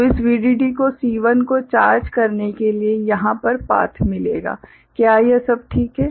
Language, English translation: Hindi, So, this VDD will get the path over here to charge the C1, is it all right